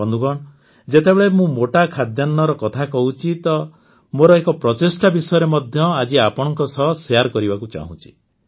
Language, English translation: Odia, Friends, when I talk about coarse grains, I want to share one of my efforts with you today